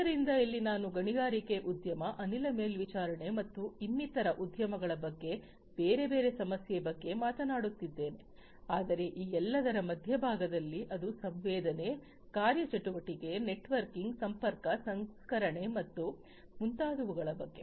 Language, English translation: Kannada, So, here I am talking about mining industry, gas monitoring and so on for another industry there are different other issues, but at the core of all of these it is about sensing, actuation, networking, connectivity, processing and so on